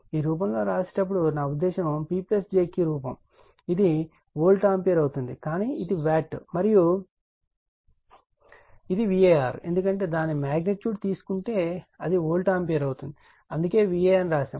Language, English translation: Telugu, When you write this in form, I mean P plus jQ form, it will be volt ampere right, but this one is watt, and this one is var because, if you take its magnitude, it will be volt ampere that is why we write VA